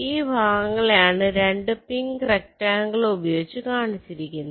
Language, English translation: Malayalam, so these two parts is shown by these two pink rectangles